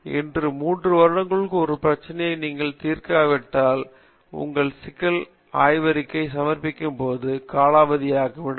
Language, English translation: Tamil, So, if you think of a problem today within 3 years you do not solve it becomes obsolete at a time you submit your thesis